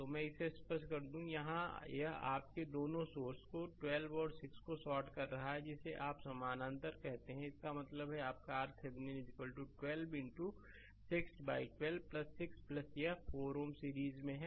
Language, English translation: Hindi, So, let me clear it so, here this is your two sources shorted 12 and 6 are your what you call are in parallel; that means, your R Thevenin is equal to 12 into 6 by 12 plus 6 right plus this 4 ohm with that in series